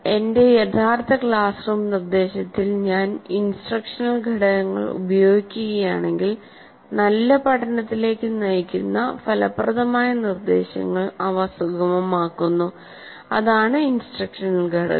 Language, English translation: Malayalam, But if I use these instructional components in my actual classroom instruction, they facilitate effective instruction that can lead to good learning